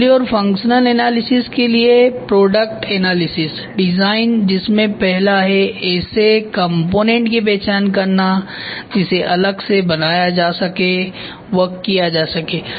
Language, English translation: Hindi, Product analysis design for assembly and functional analysis identify the component that could be produced and assemble separately